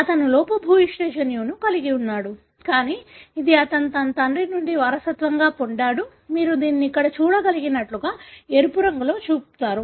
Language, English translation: Telugu, So, he has the defective gene, but this he inherited from his father, therefore you show it as red colour, like what you can see here